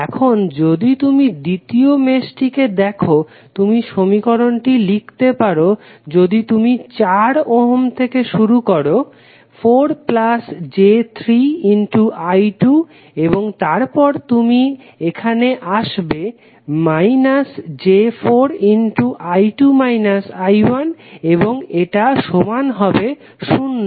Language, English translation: Bengali, Now, if you see this the second mesh the equation you can write if you start with 4 ohm you can say 4 into I 2 plus 3j into I 2 and then you come here minus 4j into I 2 minus I 1 and that would be equal to 0